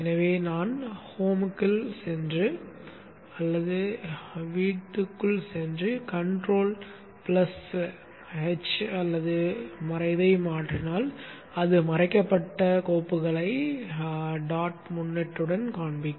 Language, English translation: Tamil, So if I go into Home and do Control H or alternate hide, it will show the hidden files with the dot prefix